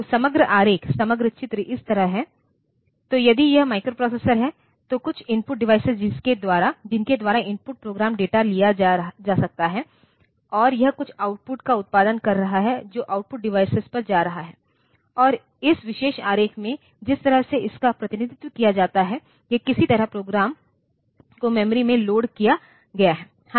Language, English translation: Hindi, So, overall diagram, overall picture is like this; so, if this is the microprocessor, it has got with it some input devices by which the input data can be input program data can be taken and it is producing some output which is going to the output device and in this particular diagram the way it is represented, it is somehow the program has been loaded into the memory